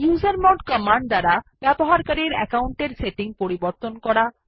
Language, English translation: Bengali, usermod command to change the user account settings